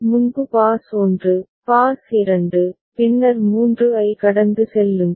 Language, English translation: Tamil, Because earlier was pass 1, pass 2, then pass 3